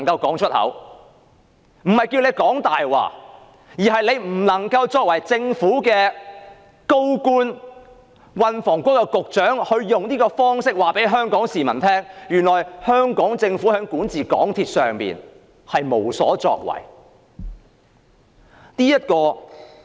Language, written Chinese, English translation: Cantonese, 我不是要他說謊，而是他作為政府高官、運輸及房屋局局長，不能夠用這種方式告訴全港市民，香港政府在管治港鐵公司上無所作為。, I am not asking him to lie but as a senior Government official as the Secretary for Transport and Housing he should never have spoken to Hong Kong people in that way . The Hong Kong Government does not have a role in the governance of MTRCL